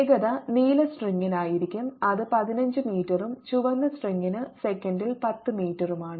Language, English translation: Malayalam, and the velocities are given to be for the blue string, its fifteen meters per and for the red string its ten meters per second